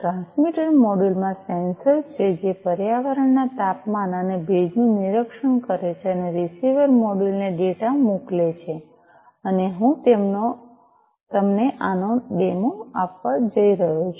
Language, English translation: Gujarati, So, the transmitter module has the sensor that monitors the temperature and humidity of the environment and sends the data to the receiver module and this is what I am going to give you a demo of